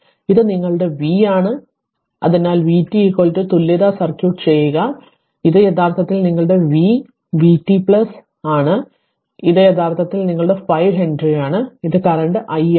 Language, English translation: Malayalam, So, this is your v so v t is equal to I mean if you draw the equivalence circuit if you draw the equivalence circuit, so this is actually your v, v is equal to say v t plus minus and this is actually your 5 Henry right and this is the current say i right